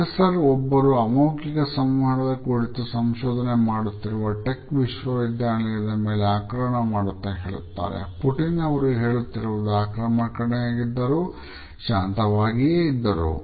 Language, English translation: Kannada, A professor attacks his tech university who researches non verbal communication explained and we see Putin’s spoke calmly even though what he was saying was pretty combative